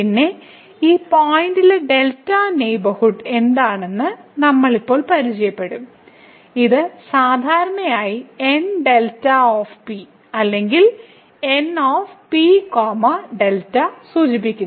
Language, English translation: Malayalam, Then, we will introduce now what is the delta neighborhood of this point P which is usually denoted by N delta P or N P delta